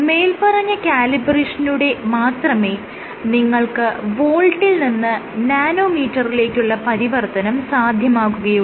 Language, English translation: Malayalam, So, you want to find this calibration, the conversion from volts to nanometers